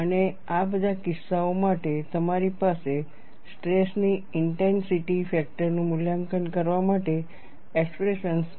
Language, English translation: Gujarati, And for all these cases, you have expressions for evaluating stress intensity factor